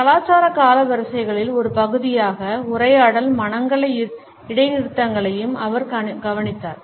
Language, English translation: Tamil, He also looked at conversational silences and pauses as part of cultural chronemics